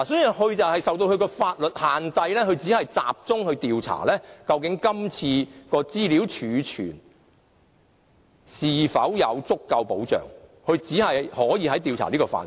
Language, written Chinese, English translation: Cantonese, 由於公署受到法律的限制，所以只能集中調查今次的資料儲存是否得到足夠的保障，只能調查這個範圍。, Since PCPD is subject to legal constraints it can only focus on investigating whether there was sufficient protection in data storage in this incident and this is the only area for its investigation